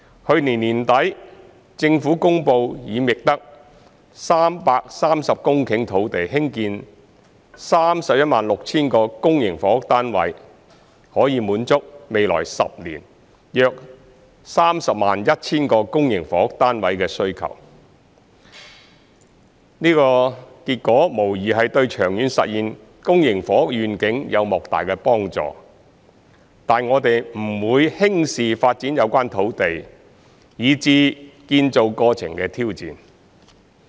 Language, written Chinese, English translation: Cantonese, 去年年底，政府公布已覓得330公頃土地興建 316,000 個公營房屋單位，可以滿足未來10年約 301,000 個公營房屋單位的需求，這個結果無疑對長遠實現公營房屋願景有莫大幫助，但我們不會輕視發展有關土地以至建造過程的挑戰。, At the end of last year the Government announced that 330 hectares of land had been identified for the construction of 316 000 public housing units which will meet the demand for some 301 000 public housing units over the next decade . There is no doubt that such an outcome will be greatly conducive to realizing the public housing vision in the long run but we will not take lightly the challenges during the course from land development to construction